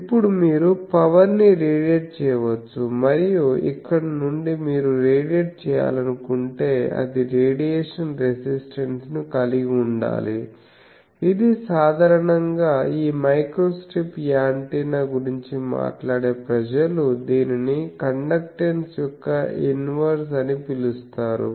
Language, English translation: Telugu, And from there actually you need to have if you wants to radiate, it should have radiation resistance which generally slot people this microstrip antenna people they call the inverse of that conductance